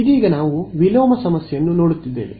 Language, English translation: Kannada, Right now we are looking at inverse problem